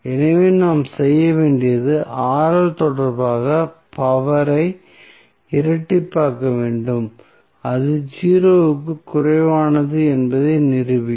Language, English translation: Tamil, So, what we have to do we have to double differentiate the power with respect to Rl and will prove that it is less than 0